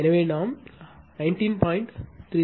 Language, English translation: Tamil, So, we that is 19